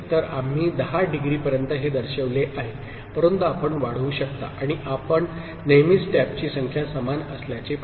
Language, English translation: Marathi, So, we have shown it up to say 10 degree, but you can extend and you see that always the number of taps are even